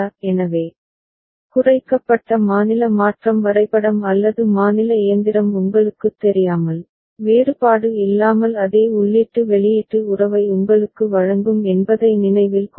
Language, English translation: Tamil, So, remember the minimized state transition diagram or state machine will be giving you same input output relationship without any you know, difference